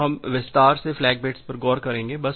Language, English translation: Hindi, So, we will look into the flag bits in detail